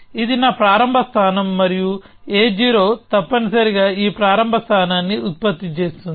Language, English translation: Telugu, So, this is my starting position and a 0 essentially produce this starting position